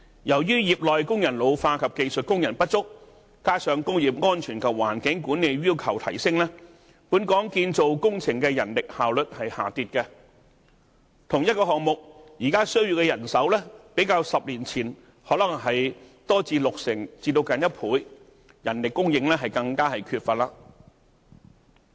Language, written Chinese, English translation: Cantonese, 由於業內工人老化及技術工人不足，加上工業安全和環境管理的要求提升，本港建造工程的人力效率下跌，同一個項目，現時需要的人手較10年前增加六成至接近1倍，人力供應更為缺乏。, As a result of ageing labour and shortage of skilled workers in the sector together with the rising requirements on industrial safety and environmental management labour efficiency of construction projects has decreased . The labour required for the same project is 60 % to one time more than that of 10 years ago worsening the shortage of labour supply